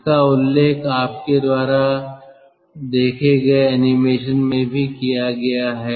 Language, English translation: Hindi, this has been mentioned also in the animation you have seen